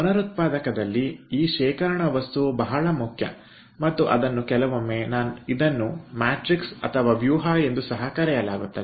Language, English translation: Kannada, so in a regenerator this storage material is very important and that is sometimes also called matrix